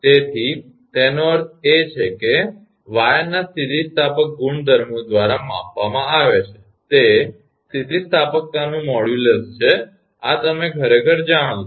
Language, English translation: Gujarati, So, that means that the elastic properties of wire is measured by, it is modulus of elasticity this you know actually